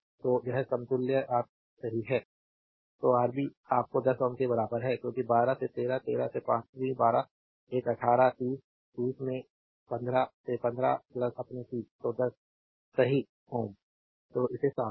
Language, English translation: Hindi, So, this equivalent is Rab right; so, Rab is equal to your 10 ohm because 12 by 13; 13 to 12 by an 18; 30, 30 into 15 by 15 plus your 30; so 10 ohm right; so, cleaning it